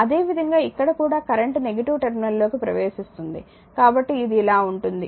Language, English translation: Telugu, Similarly here also current is entering into the negative terminal; so, it is going like this